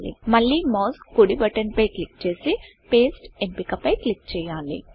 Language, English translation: Telugu, Again right click on the mouse and click on the Paste option